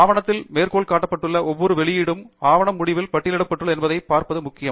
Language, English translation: Tamil, And it’s also important to see that every publication that is cited in the document is also listed at the end of the document